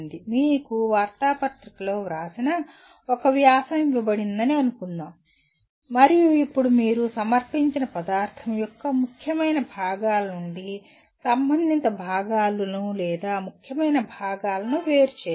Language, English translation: Telugu, Let us say you are given an article written in the newspaper and now you have to distinguish relevant parts or important parts from unimportant parts of the presented material